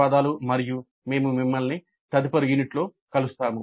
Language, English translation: Telugu, Thank you and we will meet in the next unit